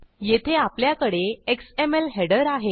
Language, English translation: Marathi, We have an xml header here